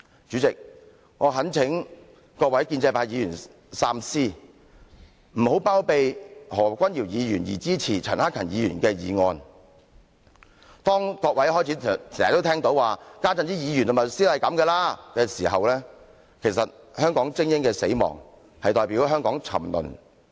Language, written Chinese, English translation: Cantonese, 主席，我懇請各位建制派議員三思，不要包庇何君堯議員而支持陳克勤議員的議案，當各位開始經常聽到有人說："現在的議員和律師是這樣的了"時，其實香港精英的死亡正代表香港的沉淪。, President I urge pro - establishment Members to think - twice not to shelter Dr Junius HO and support Mr CHAN Hak - kans motion . When Members start to learn that the public increasingly get used to the levels shown by him as a legislator and lawyer it in fact represents the death of elites in Hong Kong and thus the citys decline